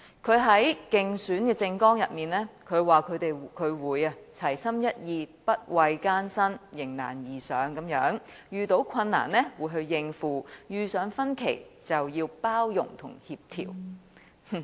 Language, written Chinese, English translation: Cantonese, 他在競選政綱中表示會齊心一意，不畏艱辛，迎難而上，遇到困難時就要應付，遇上分歧就要包容協調。, In his Manifesto he said he would stay focused not be afraid of hardships and rise to the challenges ahead . Furthermore he would overcome difficulties and adopt an inclusive attitude in coordination with all parties when there were differences